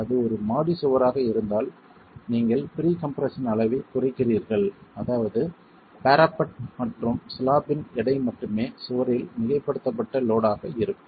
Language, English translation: Tamil, If it were a single storied wall, you reduce the pre compression levels such that probably only the weight of the parapet and the slab is the superimposed load on the wall itself